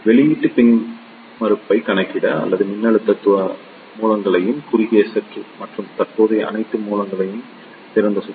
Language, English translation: Tamil, To calculate the output impedance just short circuit all the voltage sources and open circuit all the current sources